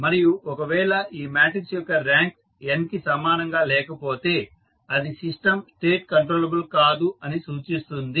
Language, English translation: Telugu, Then we find out the rank of this matrix and if the rank of this matrix is not equal to n that shows that the System State are not controllable